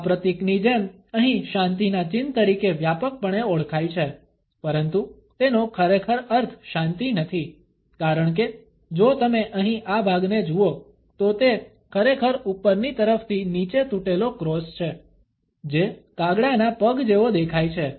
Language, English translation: Gujarati, Much like this symbol here is widely known as the peace sign, but does not really mean peace, because if you look at this part here, it is really an upside down broken cross which kind of looks like a crow’s foot